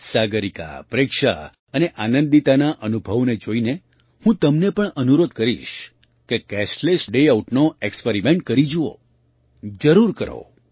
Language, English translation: Gujarati, Looking at the experiences of Sagarika, Preksha and Anandita, I would also urge you to try the experiment of Cashless Day Out, definitely do it